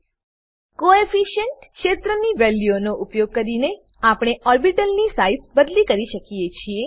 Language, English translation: Gujarati, Using Coefficient field values, we can vary the size of the orbital